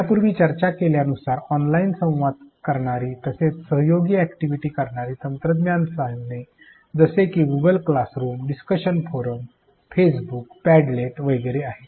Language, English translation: Marathi, As discussed earlier there are several technology tools performing online communities, performing collaborative activities such as Google classroom, discussion forum, Facebook accounts, padlet etcetera